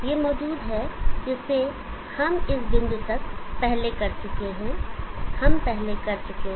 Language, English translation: Hindi, So what is it this is existing which we are done before up to this point, we have done before